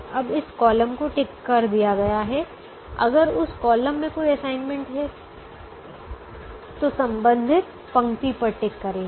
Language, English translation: Hindi, if a column is ticked and if there is an assignment, tick the corresponding row